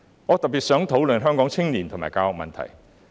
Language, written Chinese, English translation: Cantonese, 我特別想討論香港青年和教育的問題。, In particular I would like to discuss the issue of youth and education in Hong Kong